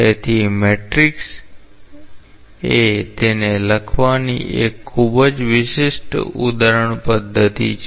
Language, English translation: Gujarati, So, matrix is a very special example illustration way of writing it